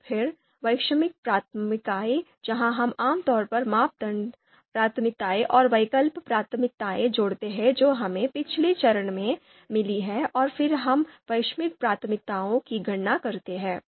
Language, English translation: Hindi, And then global priorities where we typically combine the criteria priorities and the alternative priorities that we have got in the previous steps and then we you know compute the global priorities